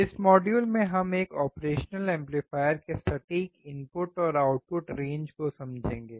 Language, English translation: Hindi, In this module, we will understand the exact input and output range of an operational amplifier